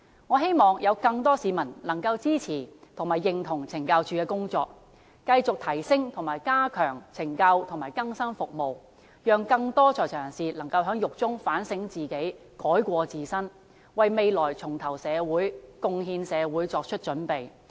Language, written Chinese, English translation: Cantonese, 我希望更多市民能夠支持及認同懲教署的工作，繼續提升及加強懲教和更生服務，讓更多在囚人士能夠在獄中自我反省，改過自新，為未來重投社會、貢獻社會作出準備。, I hope that more people will support and recognize CSDs work so that it can continue to enhance the correctional and rehabilitation services to help inmates reflect upon their mistakes in prison turn over a new leaf and prepare themselves for re - entering and contributing to society